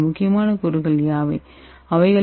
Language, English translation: Tamil, What are the three important components